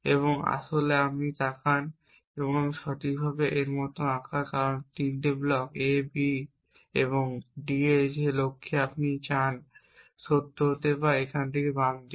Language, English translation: Bengali, And in fact, you look at the I properly drawn this like this, because the 3 blocks A B and D that you want in the goal to be true or here in the left hand side